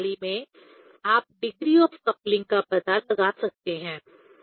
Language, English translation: Hindi, Also one can find out the degree of coupling in this system